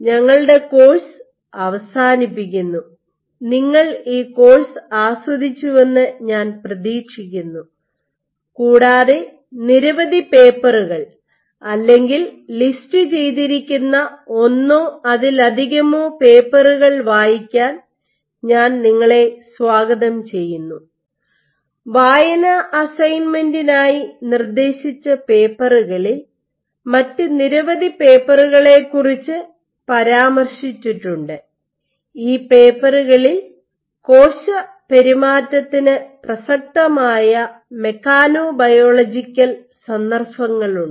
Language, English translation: Malayalam, This concludes our course I hope you have enjoyed this course and I welcome you to read many of the papers which are listed in one or more of the paper that have suggested a reading assignment where you have references to many other papers which discussed some more other mechanobialogical contexts relevant to cell behavior